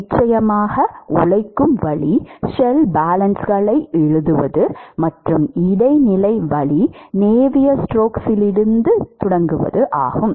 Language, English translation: Tamil, Of course the laborious way is to write the shell balances, and the intermediate way is to start from Navier stokes